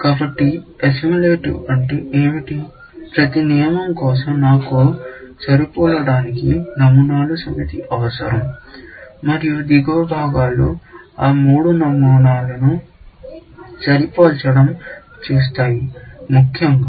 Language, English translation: Telugu, So, what do you mean by assimilative; that for every rule, I need a set of patterns to match, and the bottom parts will see that it gets those three patterns matched, essentially